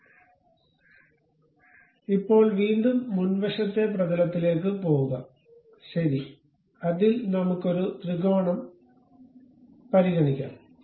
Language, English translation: Malayalam, So, now again go to frontal plane, ok, on that let us consider a triangle